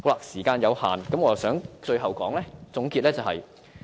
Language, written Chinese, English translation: Cantonese, 時間有限，讓我作出最後總結。, As time is running short let me move on to my concluding remarks